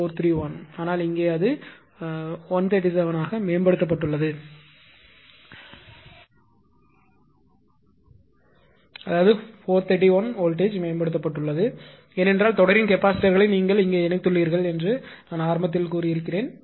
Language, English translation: Tamil, 95431, but here it is improved at is 137 that is 431 the voltage are improved because I told you at the beginning that series capacitors you have connected here